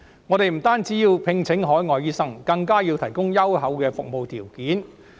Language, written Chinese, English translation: Cantonese, 我們不僅需要聘請海外醫生，更要提供優厚的服務條件。, Not only do we need to recruit overseas doctors but also have to offer excellent conditions of service